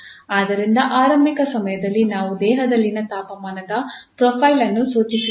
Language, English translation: Kannada, So at initial time we have prescribed the profile of the temperature in the body